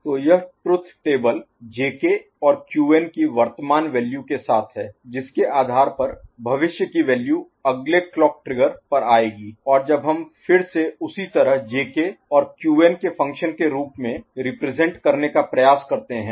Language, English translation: Hindi, So, truth table with J K and Qn these are current value based on which the future value will be coming at the next clock trigger and when we try to represent again similarly as a function of J K and Qn right